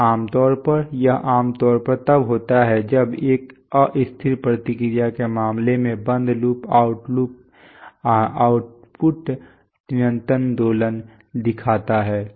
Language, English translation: Hindi, So usually, this is typically what happens when in an, in case of an unstable response that the closed loop output shows sustained oscillation